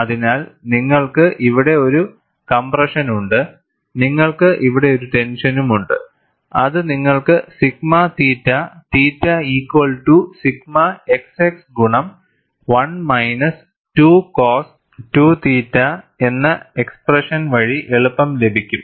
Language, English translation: Malayalam, So, you have a compression here, and you have a tension here, which is easily obtainable from your expression of sigma theta theta equal to sigma x x into 1 minus 2 cos 2 theta